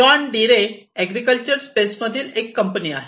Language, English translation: Marathi, John Deere is a company which is in the agriculture space